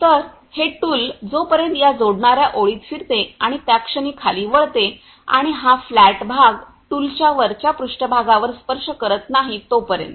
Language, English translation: Marathi, So, that the tool rotates and plunges into this the joining line until and unless this flat part touches on the top surface of the tool ok